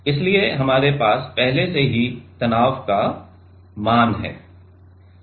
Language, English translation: Hindi, So, we have already the stress values